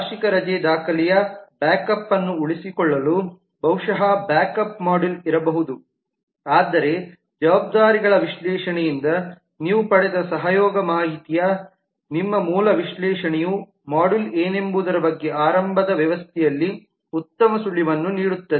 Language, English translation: Kannada, there were possibly a backup module to keep backup of the annual leave record and so on, but your basic analysis of the collaboration information which you got from the analysis of responsibilities will give you a initially a good clue in terms of what could be the modules in the system